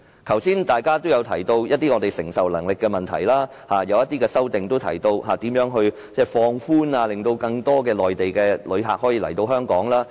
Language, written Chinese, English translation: Cantonese, 剛才大家也提到承受能力的問題，而有些修正案也提到應如何放寬措施，令更多內地旅客可以來港。, While Honourable colleagues have brought up the issue of capacity some amendments have discussed how to relax measures to attract more Mainland visitors to Hong Kong